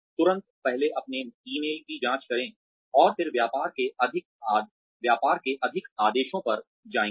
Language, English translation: Hindi, Immediately, check their emails first thing, and then move on to more orders of business